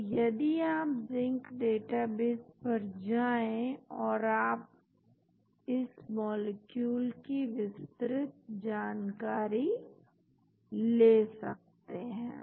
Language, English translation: Hindi, If you go to Zinc database and you see the details about the molecule